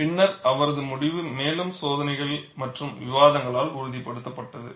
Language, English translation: Tamil, Later on, his result was corroborated by further experiments and discussions